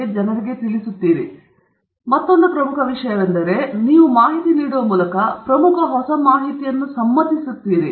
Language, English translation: Kannada, So, that’s another important thing that you are doing in the process, so you are conveying information, conveying important new information okay